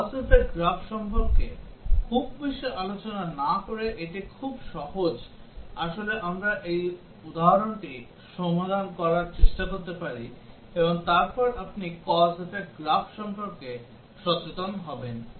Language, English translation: Bengali, It is very simple without really discussing much about cause effect graph, we can actually try to solve this example, and then you would be aware about what is cause effect graph